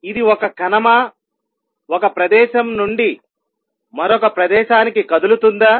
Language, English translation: Telugu, Is it a particle moving from one place to the other